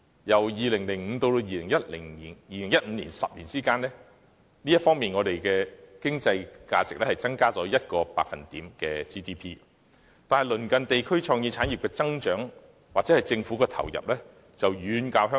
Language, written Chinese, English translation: Cantonese, 由2005年至2015年的10年間，本港 GDP 在這方面的經濟價值增加了1個百分點，但鄰近地區在創意產業上的增長，又或是當地政府的投入，卻遠高於香港。, During the decade from 2005 to 2015 the economic value of Hong Kongs GDP in this respect has seen an increase by one percentage point . Nevertheless both the growth of as well as government investment in the creative industries in neighbouring regions are far higher than that in Hong Kong